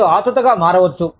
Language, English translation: Telugu, You could become, anxious